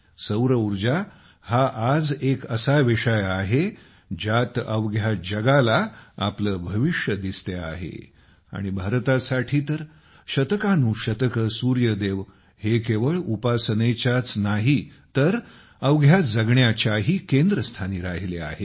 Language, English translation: Marathi, Solar Energy is a subject today, in which the whole world is looking at its future and for India, the Sun God has not only been worshiped for centuries, but has also been the focus of our way of life